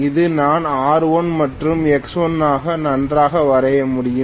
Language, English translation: Tamil, I can very well draw this also as R1 and X1